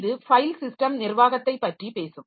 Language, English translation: Tamil, So, this will be talking about the file system management